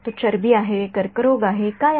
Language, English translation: Marathi, Is it fat, is it cancer, what is it